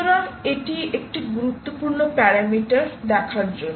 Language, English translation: Bengali, so this is an important parameter to look at